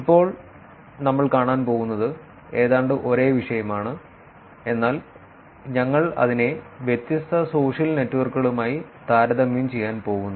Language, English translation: Malayalam, And what we are going to see now is almost the same topic, but we are going to actually compare it with different social networks